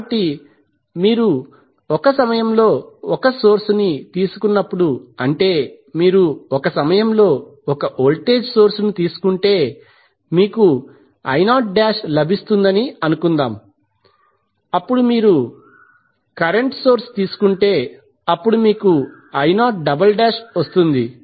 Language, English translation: Telugu, So when you take one source at a time suppose if you take the voltage source at one time you will get I naught dash, then you take current source only then you get I naught double dash